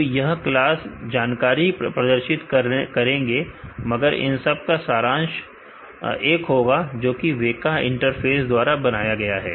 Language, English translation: Hindi, So, they will display different information here, but the summary will be the same, which is composed by the WEKA interface